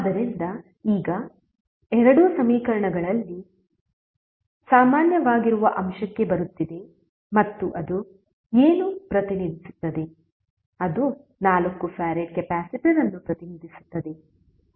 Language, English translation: Kannada, So, now comes to the element which is common in both equations and what it will represent, it will represent 4 farad capacitor, how